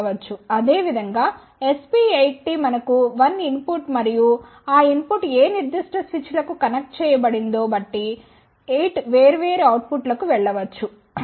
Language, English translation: Telugu, So, basically SP4T there you give 1 input and that input can go to 4 different outputs depending upon which switches connected